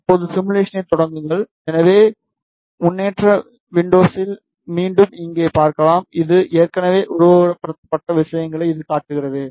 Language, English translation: Tamil, Now, start the simulation, so you can see here again in the progress window it is showing you what things it has already simulated